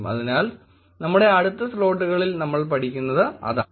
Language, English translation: Malayalam, So that is what we will be studying in our next slots